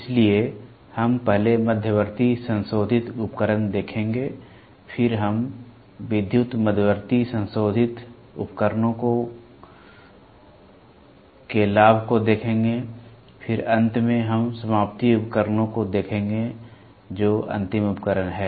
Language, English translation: Hindi, So, we will first see intermediate modifying device, then we will see advantage of electrical intermediate modifying device, then we will see electrical intermediate modifying devices, then finally, we will see terminating devices; terminating devices are nothing, but the final devices